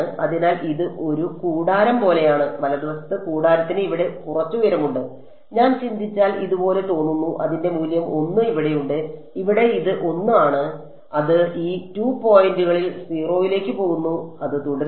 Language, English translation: Malayalam, So, its like its like a tent, right the tent has some height over here if I think about it looks something like this right it has its value 1 over here this much is 1 and it goes to 0 at these 2 points and it stays 0 along this whole edge until that reaches 2 ok